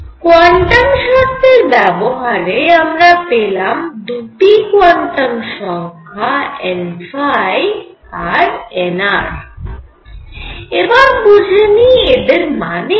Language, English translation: Bengali, So, quantum conditions give 2 quantum numbers n phi and n r and let us see; what they mean